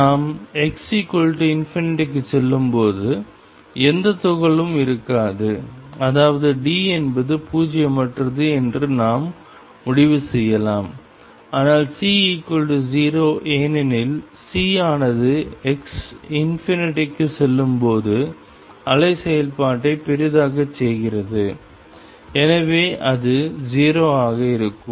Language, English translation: Tamil, There will not be any particles when we go to x equals infinity means we can conclude that D is non 0, but C is 0 because C makes the wave function blow up as to infinity and therefore, will take it to be 0